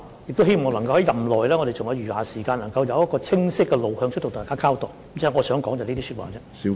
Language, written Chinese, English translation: Cantonese, 政府亦希望在任內——在我們尚餘的時間內——能夠得出清晰的路向，向大家作出交代。, The Government also hopes that within its term that is in the remaining time a clear direction can be identified and an account can be given to Members